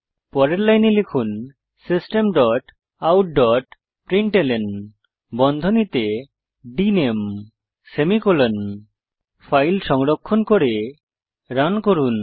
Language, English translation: Bengali, So next line Type System dot out dot println within brackets dName then semicolon